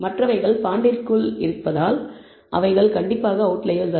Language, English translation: Tamil, While the others are within the bond and they are de nitely not out outliers